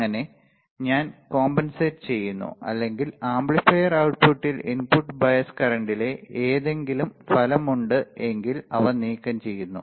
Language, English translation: Malayalam, Thus I am compensating or I am removing any effect of input bias current on the output of the amplifier right